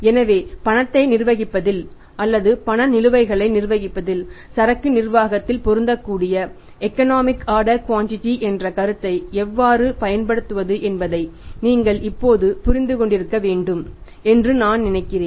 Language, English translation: Tamil, , I think you must have understood by now how to apply the concept of economic order quantity which is applicable in the inventory management in the management of cash or managing the cash balances